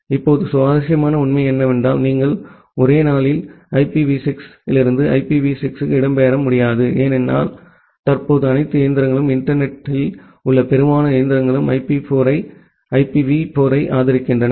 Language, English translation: Tamil, Now the interesting fact is that, you cannot migrate from IPv4 to IPv6 in 1 day, because currently all the machines are majority of the machines in the internet is support IPv4